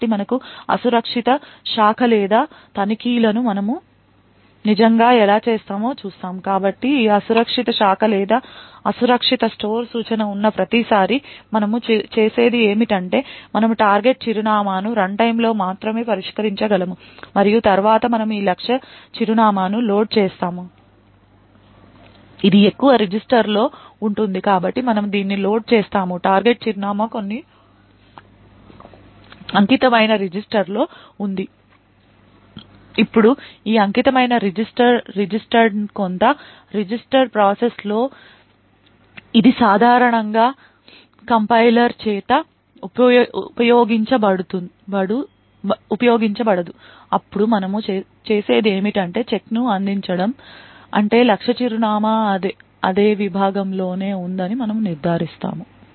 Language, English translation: Telugu, So every time we have a unsafe branch or an unsafe store instruction like this what we do is we take the target address which can be resolved only at runtime and then we load this target address mostly this would be in a register so we would load this target address into some dedicated register, now this dedicated registered is some register in the processor which is typically not used by the compiler then what we do is we provide the check we ensure that the target address is indeed present in the same segment